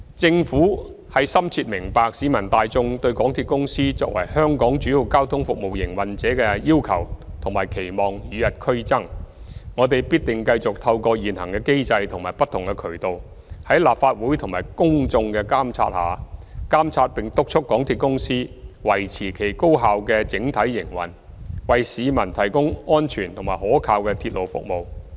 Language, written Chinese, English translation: Cantonese, 政府深明市民大眾對港鐵公司作為香港主要交通服務營運者的要求及期望與日俱增，我們必定繼續透過現行的機制及不同渠道，在立法會及公眾的監察下，監察並督促港鐵公司維持其高效的整體營運，為市民提供安全及可靠的鐵路服務。, The Government fully understands the increasing demands and expectations from the public towards MTRCL as the major public transport service operator in Hong Kong . Through the existing mechanism and various channels we will definitely continue to monitor and urge MTRCL to maintain its efficient overall operation and provide safe and reliable railway services to the public